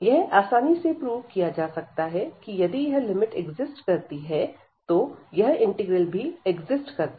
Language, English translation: Hindi, So, it can easily be proved that this above limit exist, so or this integral exist